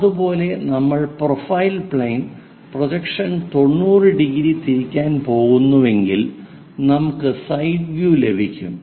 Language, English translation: Malayalam, Similarly, the profile plane projection if we are going torotate it 90 degrees, we will get a side view